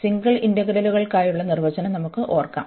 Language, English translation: Malayalam, Let us just recall the definition, what we had for the single integrals